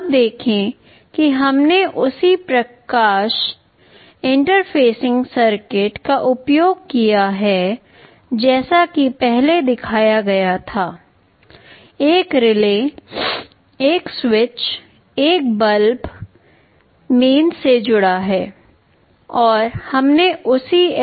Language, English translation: Hindi, Now see we have used that same light interfacing circuitry as was shown earlier; a relay, a bulb with a switch connected to mains, and we have used the same LDR circuit